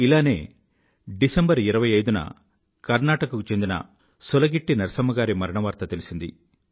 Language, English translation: Telugu, On similar lines, on the 25th of December, I learnt of the loss of SulagittiNarsamma in Karnataka